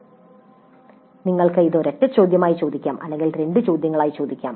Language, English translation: Malayalam, We can ask this as a single question or we can put into two questions